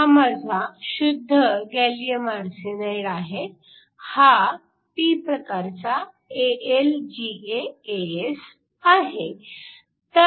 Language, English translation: Marathi, That is my intrinsic gallium arsenide that is p AlGaAs